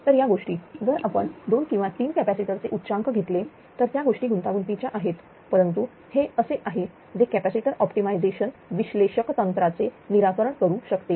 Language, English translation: Marathi, So, those things ah if you take 2 or 3 capacitors peaks which combination those things are complicated, but this is what one can ah solve the capacitor optimization analytical technique